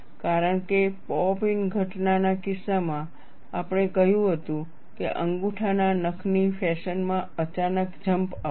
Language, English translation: Gujarati, Because in the case of pop in phenomena, we said, there would be a sudden jump in a thumb nail fashion